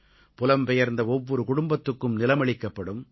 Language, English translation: Tamil, Each displaced family will be provided a plot of land